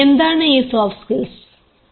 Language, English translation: Malayalam, what are these soft skills